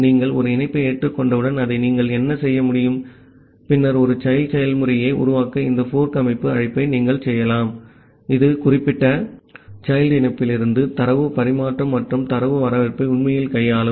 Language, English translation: Tamil, So what you can do that once you are accepting a connection then you can make this fork system call to create a child process, which will actually handle the data transmission and data reception from that particular child connection